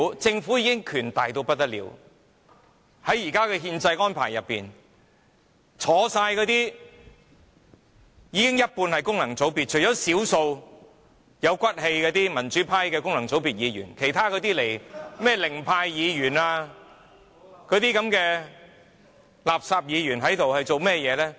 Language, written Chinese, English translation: Cantonese, 政府的權力已很大，因為在現時的憲制安排下，在席的有一半是功能界別議員，當中除了少數有骨氣的民主派功能界別議員之外，那些零票當選的議員和垃圾議員做了些甚麼？, The Government has already been given very great powers because under the existing constitutional arrangements half of the Members here are returned by functional constituency elections and apart from a few of them from the pro - democracy camp who do have integrity what have those elected by zero vote and those rubbish Members done?